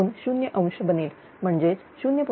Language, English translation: Marathi, 005 angle 0 degree that is 0